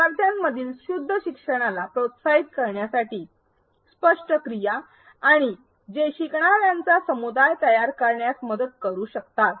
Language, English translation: Marathi, Explicit activities to foster pure learning between learners and which can help form a community of learners